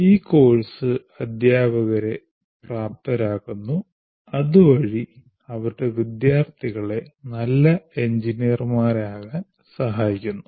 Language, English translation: Malayalam, The course enables the teachers who in turn can facilitate their students to become a good engineer's